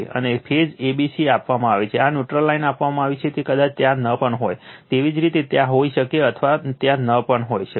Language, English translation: Gujarati, And phase a b c is given this neutral dash line is given, it may be there may not be there you right may be there or may not be there